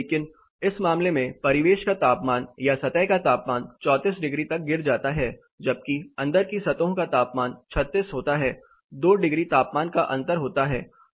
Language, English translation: Hindi, But in this case the ambient temperature surfaces temperature drops to 34, whereas the inside surfaces temperature is 36, there is a 2 degrees temperature difference